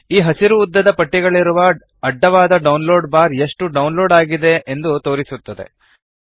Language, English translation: Kannada, This horizontal download bar with the green vertical strips shows how much download is done